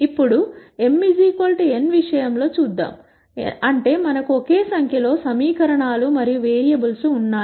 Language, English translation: Telugu, Now, let us look at the case of m equal to n; that is we have the same number of equations and variables